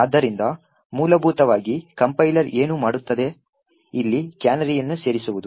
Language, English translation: Kannada, So, essentially what the compiler would do is insert a canary over here